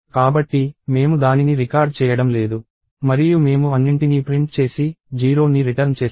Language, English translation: Telugu, So, we are not recording it and I print everything and return 0